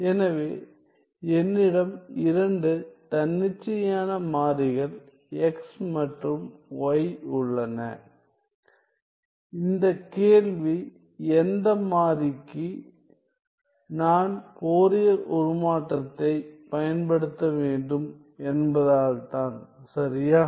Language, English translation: Tamil, So, I have two variable x independent variables x and y this question is for which variable should I use the Fourier transform right